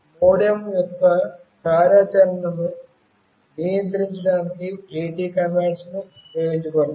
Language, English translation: Telugu, AT commands are used to control the MODEM’s functionality